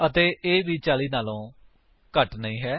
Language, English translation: Punjabi, And it also not less than 40